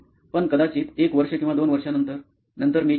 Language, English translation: Marathi, But maybe like after a year or couple of years, then I would